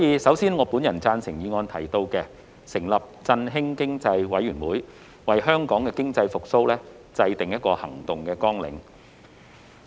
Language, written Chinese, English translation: Cantonese, 首先，我贊成議案中"成立振興經濟委員會，為疫後經濟復蘇制訂行動綱領"的建議。, To begin with I agree to the proposal of setting up an Economic Stimulation Committee to formulate action plans for post - pandemic economic recovery in the motion